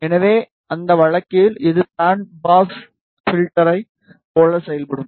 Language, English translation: Tamil, So, in that case, it will act like a band pass filter